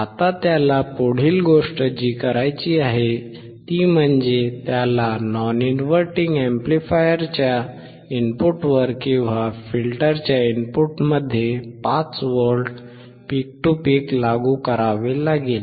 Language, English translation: Marathi, Now next thing he has to do is he has to apply 5V peak to peak to the input of the non inverting amplifier or into the input of the filter